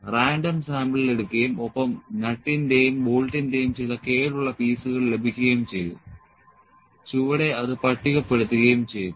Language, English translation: Malayalam, Random sample were taken and some defective pieces of nuts and bolts were obtained and as tabulated below